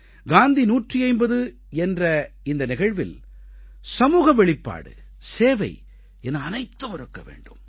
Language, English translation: Tamil, In all the programmes of Gandhi 150, let there be a sense of collectiveness, let there be a spirit of service